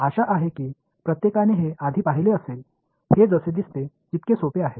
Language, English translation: Marathi, Hopefully everyone has seen this before, this is as simple as it gets